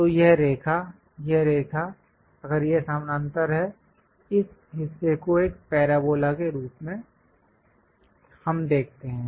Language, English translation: Hindi, So, this line, this line if it is parallel; the projected one this part in a circle we see as a parabola